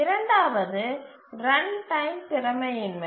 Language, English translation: Tamil, Run time inefficiency